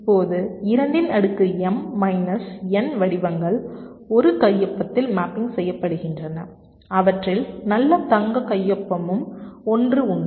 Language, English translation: Tamil, now i said there are two to the power m minus n patterns which are mapping into a signature, also the golden signature